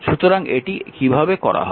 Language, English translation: Bengali, So, how we will do it